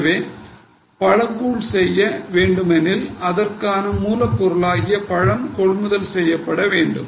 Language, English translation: Tamil, So, if we are making fruit pulp, we know that raw material in the form of fruit will be purchased